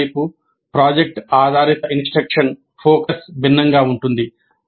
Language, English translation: Telugu, On the other hand the project based instructions focus is different